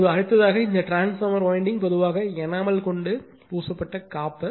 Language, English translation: Tamil, Now, next this transformer winding usually of enamel insulated copper or aluminium